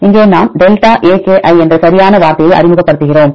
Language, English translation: Tamil, Here we introduce this term right delta aki